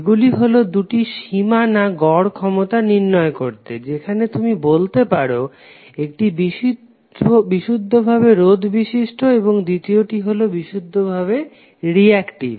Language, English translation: Bengali, So these are the two important boundary conditions for this particular average power calculation, where you can demonstrate that one is for purely resistive and second is for purely reactive